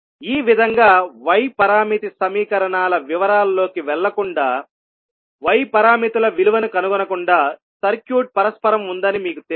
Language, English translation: Telugu, So in this way if you know that the circuit is reciprocal without going into the details of y parameter equations and then finding out the value of y parameters